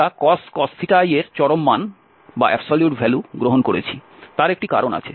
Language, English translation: Bengali, We have taken the absolute value of cos theta i because there is a reason